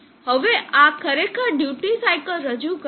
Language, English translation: Gujarati, Now this is actually representing the duty cycle